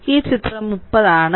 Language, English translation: Malayalam, So, it is a figure 30 right